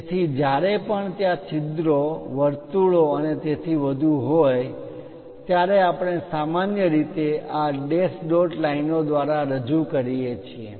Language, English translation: Gujarati, So, whenever there are holes, circles and so on, we usually represent by these dash dot lines